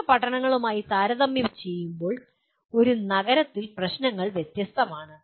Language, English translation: Malayalam, The issues are different in a city compared to smaller towns